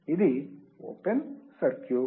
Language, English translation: Telugu, It is open circuit